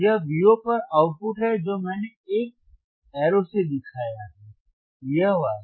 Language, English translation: Hindi, This is output at V o which I have shown with arrow, this one